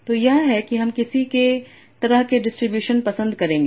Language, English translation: Hindi, So that is what kind of distributions I will prefer